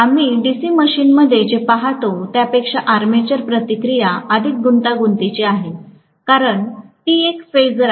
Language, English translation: Marathi, Armature reaction here is much more complex than what we see in a DC machine because it is a phasor, right